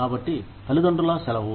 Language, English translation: Telugu, So, parental leave